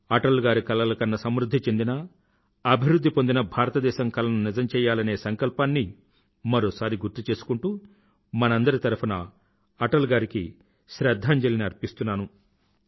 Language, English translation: Telugu, Reiterating our resolve to fulfill his dream of a prosperous and developed India, I along with all of you pay tributes to Atalji